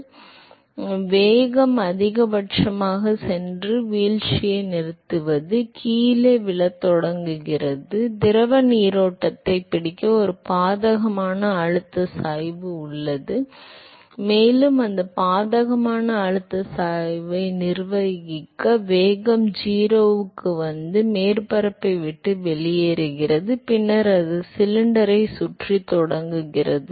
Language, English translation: Tamil, So, the velocity goes to a maximum and stops falling, starts falling down and there is an adverse pressure gradient in order to catch up with the rest of the fluid stream and it is not able to manage the adverse pressure gradient and therefore, the velocity comes to 0 and so, it leaves the surface and then it start circulating the cylinder